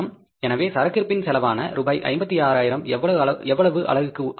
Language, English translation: Tamil, So the stock cost of the 56,000 rupees is for how much